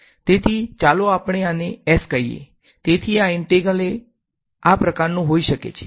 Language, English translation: Gujarati, So, let us call this S, so this integral can be of this form ok